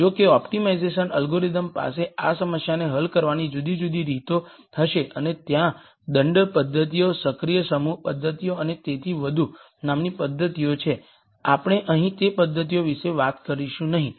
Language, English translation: Gujarati, However, optimization algorithms will have di erent ways of solving this problem and there are methods called penalty methods, active set methods and so on, we are not going to talk about those methods here